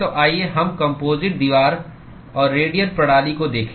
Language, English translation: Hindi, So, let us look at composite wall and radial systems